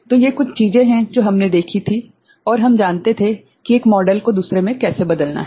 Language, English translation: Hindi, So, these are certain things that we had seen and we knew how to convert one model to another